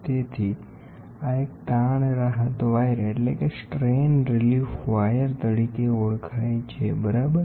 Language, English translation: Gujarati, So, this one is called as the strain relief wire, ok